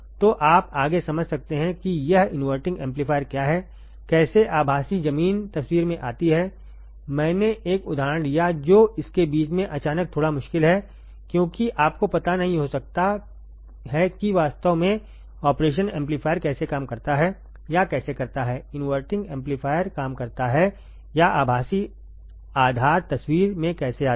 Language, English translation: Hindi, So, that you can understand further of what is this inverting amplifier how the virtual ground come into picture I took an example which is little bit tricky suddenly in middle of this because you may or may not have idea of how exactly operational amplifier works or how the inverting amplifier works or how the virtual grounds comes into picture